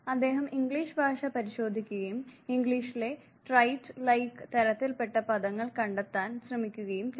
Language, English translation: Malayalam, He looked at the English language and tried to find out those terms those words in English